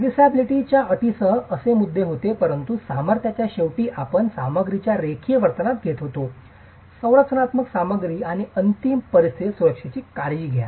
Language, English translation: Marathi, There were issues with serviceability conditions while at the strength ultimate conditions you were considering the nonlinear behavior of the material, structural material and take care of the safety at ultimate conditions